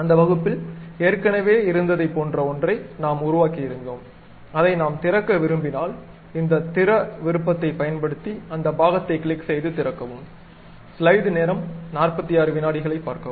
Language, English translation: Tamil, In that, we have constructed something like already a previous one, if I want to open that we can use this open option click that part and open it